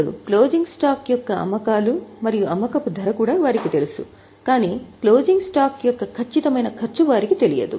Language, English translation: Telugu, Now, they also know the sales and selling price of closing stock because they don't know exact cost of closing stock